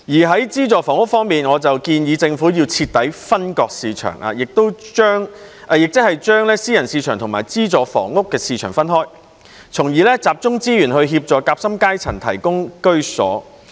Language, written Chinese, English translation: Cantonese, 在資助房屋方面，我建議政府要徹底分割市場，即是把私人市場和資助房屋的市場分開，從而集中資源協助夾心階層獲得居所。, On subsidized housing I propose that the Government should segregate the market completely that is to separate the private market from the subsidized housing market in order to focus resources on helping the sandwich class to achieve home ownership